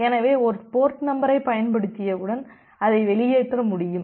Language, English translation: Tamil, So, you cannot throw out a port number once it is being used